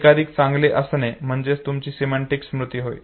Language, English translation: Marathi, The more and more better is, your semantic memory